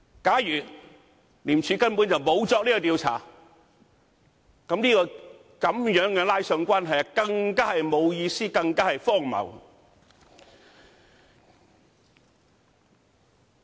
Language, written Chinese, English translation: Cantonese, 假如廉署根本沒有作出調查，這樣扯上關係更是沒有意思、更荒謬。, If ICAC has not conducted any investigation it would be meaningless to make such kind of association as it is even more ridiculous to do so